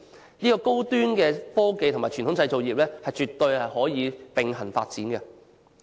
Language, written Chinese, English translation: Cantonese, 這反映高端科技和傳統製造業絕對可以並行發展。, This reflects that high - end technology and traditional manufacturing industries can definitely be developed in parallel